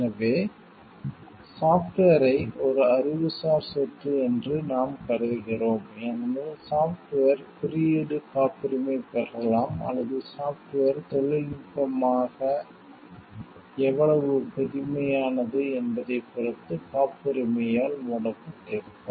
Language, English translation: Tamil, So, we consider software to be an intellectual property, because the software code may be either patentable or covered by copyright depending upon how novel the software is as a technology